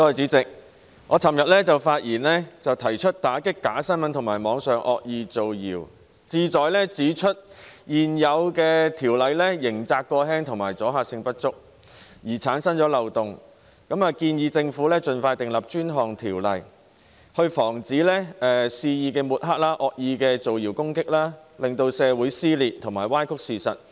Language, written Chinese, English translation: Cantonese, 主席，我在昨天發言時提到要打擊假新聞及網上惡意造謠，目的是指出現有條例刑責過輕及阻嚇性不足，因而產生漏洞，並建議政府盡快制定專項條例，防止肆意抹黑及惡意造謠攻擊，令社會撕裂及歪曲事實。, President in my speech yesterday I said that we need to combat fake news and malicious rumour - mongering on the Internet for the purpose of pointing out the loopholes arising from the lenient criminal liability and insufficient deterrent effect under the existing legislation . And I advised the Government to expeditiously enact dedicated legislation to prevent wanton smearing and malicious rumour - mongering from tearing the community apart and distorting the facts